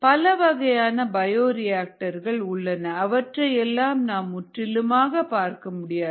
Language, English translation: Tamil, and there are very many kinds of bioreactors will not possible to go through all of them